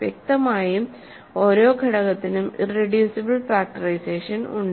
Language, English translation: Malayalam, Obviously, then every element has a irreducible factorization